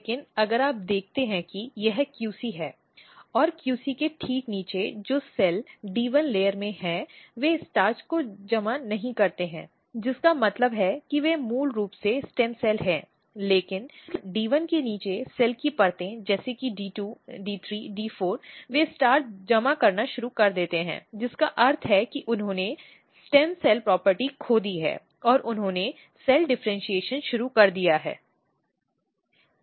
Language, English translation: Hindi, But if you look this is the QC and just below the QC the cells which is in D 1 layer, they do not accumulate the starch which means that they are they are basically stem cells, but the cell layers below the D 1 like D 2, D 3, D 4, they start accumulating the starch which means that they have lost the stem cell property and they have started cell differentiation